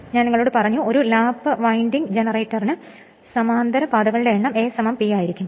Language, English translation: Malayalam, Now for a lap winding generator I told you number of parallel paths will be A is equal to P